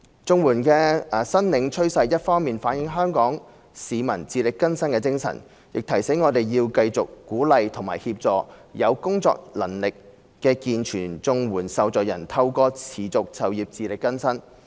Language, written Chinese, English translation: Cantonese, 綜援的申領趨勢一方面反映香港市民自力更生的精神，亦提醒我們要繼續鼓勵和協助有工作能力的健全綜援受助人透過持續就業自力更生。, The trend of CSSA application on the one hand reflects the spirit of self - reliance among Hong Kong people and reminds us of the need to keep up our efforts in encouraging and assisting able - bodied recipients in supporting themselves through sustained employment